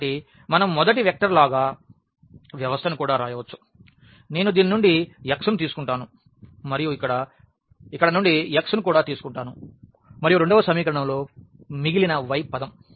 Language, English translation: Telugu, So, we can also write down the system as like the first vector I will take x from this and also x from here and in the second equation the rest the y term